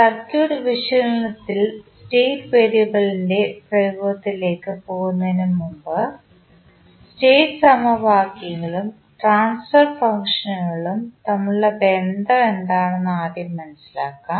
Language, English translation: Malayalam, Before going into the application of state variable in circuit analysis, first let us understand what is the relationship between state equations and the transfer functions